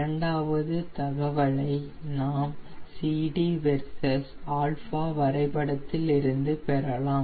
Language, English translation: Tamil, second information we will get from cd versus alpha graph